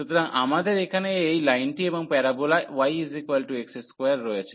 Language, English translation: Bengali, So, we have this line here and the parabola y is equal to x square